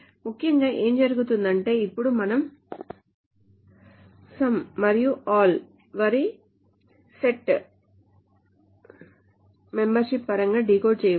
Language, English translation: Telugu, So essentially what happens is now we can decode some and all in terms of the set membership